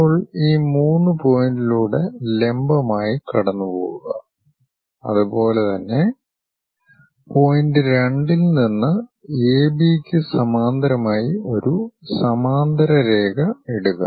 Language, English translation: Malayalam, Now drop a vertical passing through this 3 point and similarly drop a parallel line parallel to A B from point 2